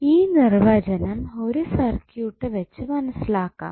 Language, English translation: Malayalam, So, let us understand this definition with 1 circuit